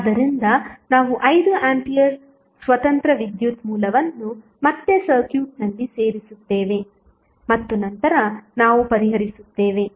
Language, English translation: Kannada, So, we will add the 5 ampere independent current source again in the circuit and then we will solve